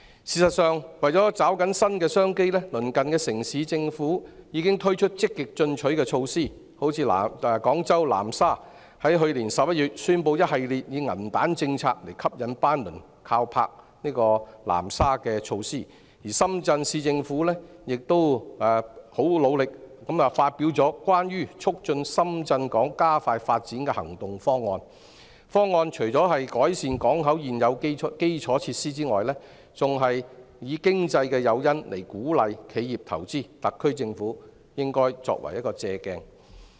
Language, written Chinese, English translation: Cantonese, 事實上，為了抓緊新的商機，鄰近城市的政府已推出積極進取的措施，例如廣州南沙在去年11月宣布一系列以銀彈政策吸引班輪靠泊南沙的措施，而深圳市政府亦很努力地發表《關於促進深圳港加快發展的行動方案》，方案除改善港口現有基礎設施外，還以經濟誘因鼓勵企業投資，特區政府應以此作為借鑒。, For example Nansha Guangzhou announced a series of measures in November last year to attract liners to berth at its port with monetary incentives while the Shenzhen Municipal Government has also endeavoured and published the action plan for promoting the expeditious development of the Shenzhen Port . The action plan seeks to not only improve the existing port infrastructure but also incentivize investment from enterprises through financial incentives . The SAR Government should learn from their examples